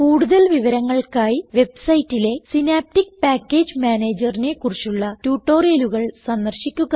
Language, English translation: Malayalam, For details, watch the tutorial on Synaptic Package Manager available on the Spoken Tutorial website